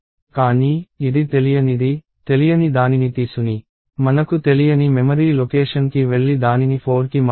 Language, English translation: Telugu, But, since this is unknown, you are saying take this unknown, go to some memory location I do not know which and change that to 4